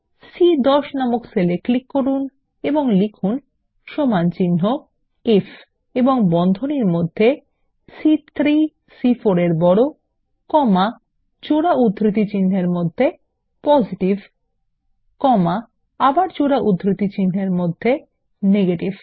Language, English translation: Bengali, Lets click on the cell referenced as C10 and type, is equal to IF and within braces, C3 greater than C4 comma, within double quotes Positive comma and again within double quotes Negative